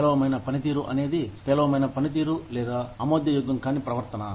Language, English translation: Telugu, Poor fit is poor performance or unacceptable behavior